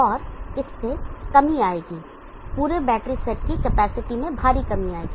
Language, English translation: Hindi, And this will lead to reduction, huge reduction in the capacity of the whole battery set